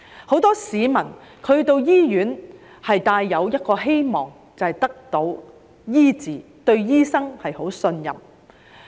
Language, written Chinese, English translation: Cantonese, 很多市民到醫院是希望得到醫治，對醫生十分信任。, Many people go to hospital in the hope of getting treated and they have great confidence in doctors